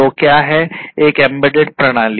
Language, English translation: Hindi, So, what is an embedded system